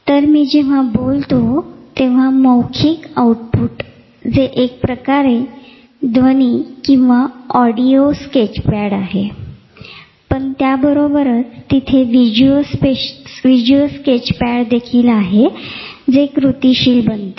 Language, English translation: Marathi, So, when I am talking there is oral output, which is a sort of audio sketchpad, but simultaneously there is also a visual sketchpad which is also getting activated